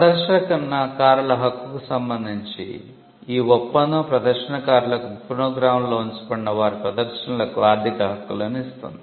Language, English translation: Telugu, With regard to the right of performers the treaty grants performers economic rights in their performances fixed in phonograms